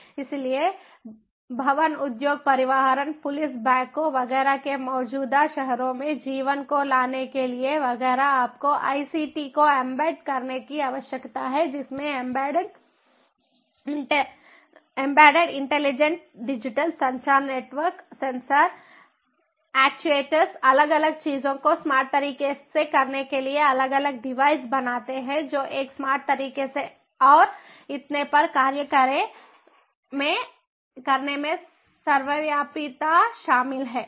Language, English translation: Hindi, so to bring in life to the existing cities having buildings, industries, transportation, police, banks, etcetera, etcetera you need to embed ict, which includes ubiquity in embedded intelligence, digital communication networks, sensors, actuators, tags, different software doing different things in a smart way, making these different devices to act in a smart way, and so on